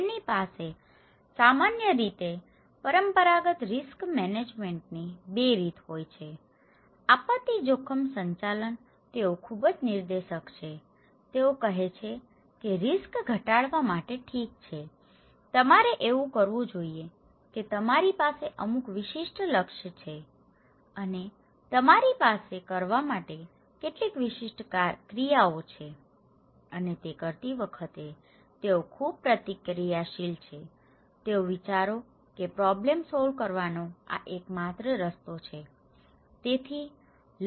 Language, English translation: Gujarati, They generally have 2 way of conventional risk management; disaster risk management, they are very directive, they are saying that okay in order to reduce the risk, you should do that you have some specific goals and you have some specific actions to perform and while doing it, they are also very reactive, they think that this is the only way to solve the problem, okay, this is the only way to solve the problem